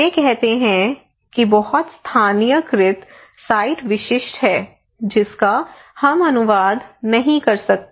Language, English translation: Hindi, They are saying that is very localised site specific we cannot translate that one